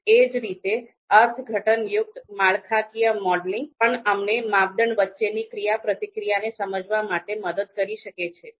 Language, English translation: Gujarati, Similarly interpretive structural modeling, this also allows us to understand the interactions between the criteria